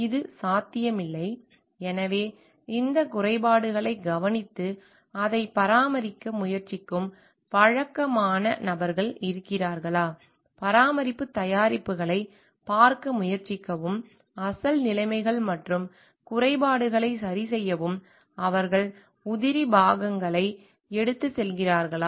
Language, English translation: Tamil, May be it is not possible, so, whether there are regular people who can take care of this faults and then try to maintain it, try to see the products of maintenance, original conditions and repair for the faults, do they carries spare parts with them which shows like the maintenance culture is there